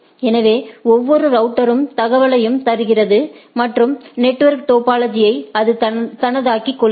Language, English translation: Tamil, So, each router gives the information and make the network topology of its own